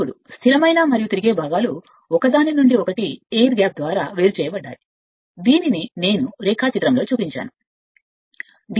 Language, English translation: Telugu, Now, the stationary and rotating parts are separated from each other by an air gap just I show in the diagram right